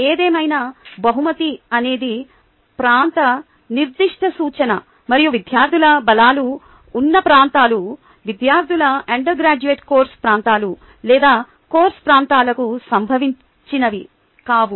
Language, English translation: Telugu, however, giftedness is areas specific reference and the areas of student strengths may not be related to the students, undergraduate core course areas or course areas